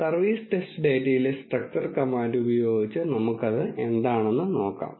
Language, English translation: Malayalam, Let us use the structure command on the service test data and see what it has